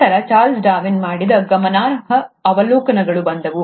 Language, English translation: Kannada, Then came the remarkable observations done by Charles Darwin